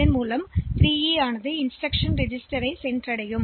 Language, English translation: Tamil, So, 3E comes to the instruction register